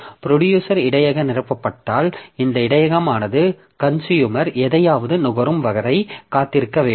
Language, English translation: Tamil, So, that is how this buffer, if the buffer is full then the producer is made to wait till the consumer has consumed something